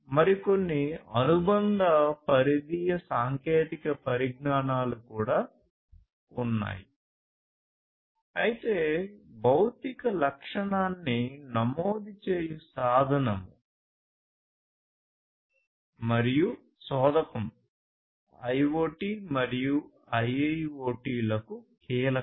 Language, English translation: Telugu, And there are few other associated peripheral technologies also, which we will cover in subsequent lectures, but sensing and actuation is key to IoT as well as IIoT, right